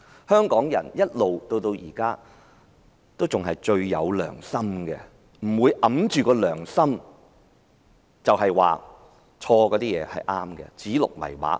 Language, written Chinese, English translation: Cantonese, 香港人一直以來也是最有良心的，不會掩着良心說錯的事情是對的，不會指鹿為馬。, Hongkongers have all along been the most conscientious and would not say against their conscience that something wrong is right and call a stag a horse